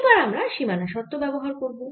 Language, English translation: Bengali, now we got to apply the boundary conditions